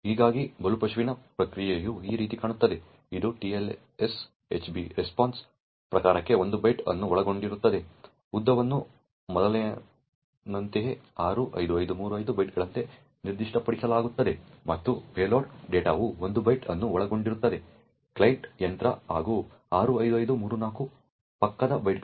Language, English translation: Kannada, Thus, the response from the victim would look like this way, it would comprise of 1 byte for type that is TLS HB RESPONSE, the length would be specify as before as 65535 bytes and the payload data would comprise of the 1 byte that was sent by the client machine as well as 65534 adjacent bytes